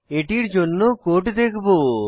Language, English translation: Bengali, We will see the code for this